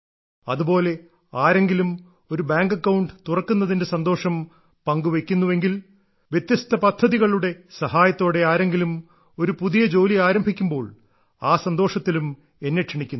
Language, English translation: Malayalam, Similarly, someone shares the joy of opening a bank account, someone starts a new employment with the help of different schemes, then they also invite me in sharing that happiness